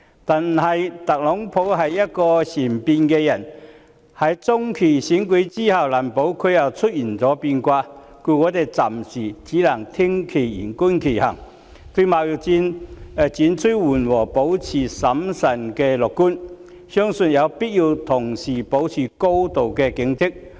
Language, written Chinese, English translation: Cantonese, 但是，特朗普是善變的人，在中期選舉過後，難保又再出現變卦，故我們暫時只能聽其言，觀其行，對貿易戰轉趨緩和保持審慎樂觀，相信有必要同時保持高度警戒。, However Donald TRUMP is a man of capricious disposition . No one can say for sure that there will not be changes after the midterm elections . So all we can do for the time being is to listen to his words and watch his deeds and while we are cautiously optimistic that the trade war will gradually recede it is also necessary to remain highly vigilant at the same time